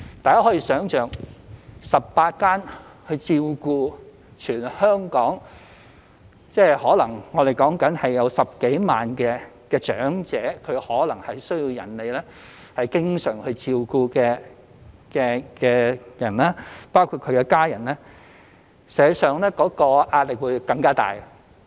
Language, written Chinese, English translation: Cantonese, 大家可以想象，如只有18間中心，而全香港可能有10多萬名需要別人經常照顧的長者，連同其家人，實際上其壓力會更加大。, However just imagine if there are only 18 such centres but there are more than 100 000 elderly in need of constant care in Hong Kong together with their family members the pressure on these centres will be very great